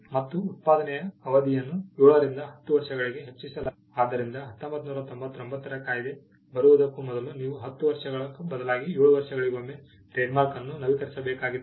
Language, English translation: Kannada, The period of production was enhanced from 7 to 10 years, now you had to renew a trademark every 10 years earlier it was 7 years